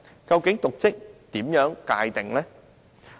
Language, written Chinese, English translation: Cantonese, 究竟應如何界定"瀆職"？, What exactly should be the definition of dereliction of duty?